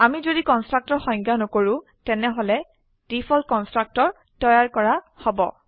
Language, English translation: Assamese, If we do not define a constructor then a default constructor is created